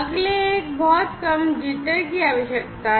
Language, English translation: Hindi, The next one is the requirement of very low jitter